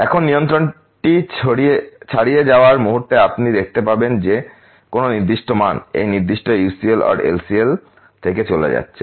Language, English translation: Bengali, The moment it goes beyond control you will see one value going out of this particular UCL or LCL